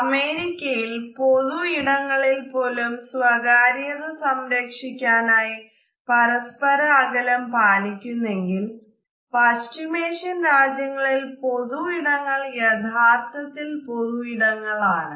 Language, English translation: Malayalam, Even when in public areas Americans keep a distance from other people to protect privacy, yet in Middle Eastern nations, public areas are purely public